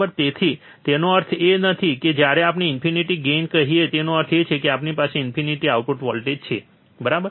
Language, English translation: Gujarati, So, that does not mean that when we say infinite gain; that means, that we have infinite output voltage, alright